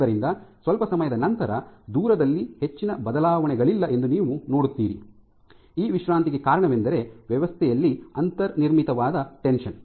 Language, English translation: Kannada, So, after some time you see that there is no more change in distance suggesting that this relaxation is because of the tension which was inbuilt in the system